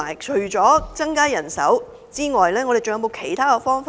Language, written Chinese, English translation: Cantonese, 除增加人手外，是否還有其他方法呢？, Apart from increasing manpower are there other alternatives?